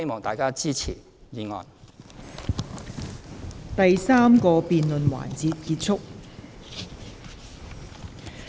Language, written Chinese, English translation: Cantonese, 第三個辯論環節結束。, The third debate session ends